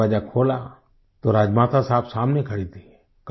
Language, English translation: Hindi, I opened the door and it was Rajmata Sahab who was standing in front of me